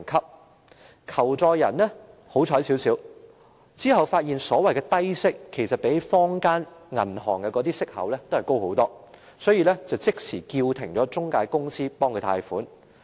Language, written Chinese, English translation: Cantonese, 這名求助人較為幸運，他發現所謂的低息相比坊間銀行的利息高很多，於是即時叫停了中介公司不用代他安排貸款。, The victim was relatively lucky . He discovered that the interest rate charged under the so - called low - interest loan was higher than that offered by banks in the market so he immediately stopped the intermediary company from arranging for a loan application for him